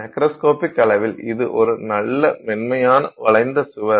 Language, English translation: Tamil, So, at the macroscopic scale it's a nice smooth wall